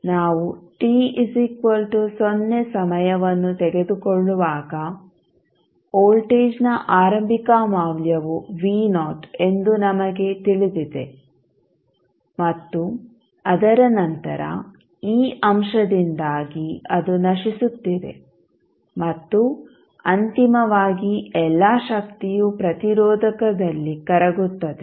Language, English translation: Kannada, So, when you it is decaying, when we take the time t is equal to 0, we know that the initial value of voltage was V Naught and then after that, because of this factor it is decaying, and eventually all energy would be dissipated in the resistor